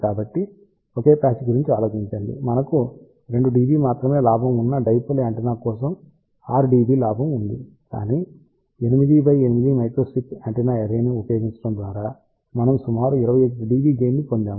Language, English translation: Telugu, So, just think about for a single patch we had a gain of 6 d B for a dipole antenna we had gain of only about 2 dB, but by using an 8 by 8 microstrip antenna array we can obtain a gain of about 21 d B